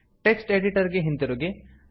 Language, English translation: Kannada, Switch back to the text editor